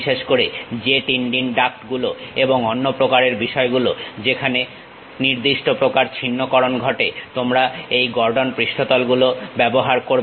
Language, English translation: Bengali, Especially, for jet engine ducts and other things where certain abruption happens, you use this Gordon surfaces